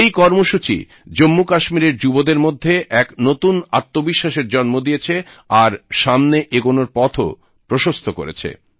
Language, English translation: Bengali, This program has given a new found confidence to the youth in Jammu and Kashmir, and shown them a way to forge ahead